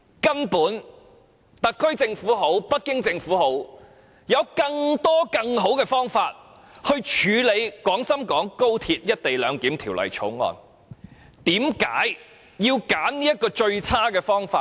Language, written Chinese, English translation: Cantonese, 其實，無論是特區政府或北京政府，都有更多更好的方法處理《條例草案》，但為何偏要選擇這種最差的做法？, We should amend the law first . Actually be it the HKSAR Government or the Beijing Government there are many other better alternatives to deal with this Bill . Why did they insist on choosing this terrible approach?